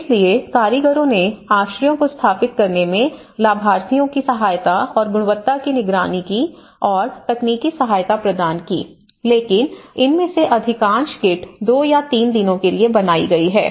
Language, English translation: Hindi, So, the artisans assisted beneficiaries in setting out the shelters, monitored the quality and provided the technical assistance but most of these kits have been erected in a daysí time you know 2 days, 3 days